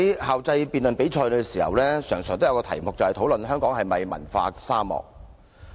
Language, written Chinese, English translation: Cantonese, 校際辯論比賽經常出現的辯論主題，是討論香港是否文化沙漠。, One motion we frequently see in inter - school debates is whether Hong Kong is a cultural desert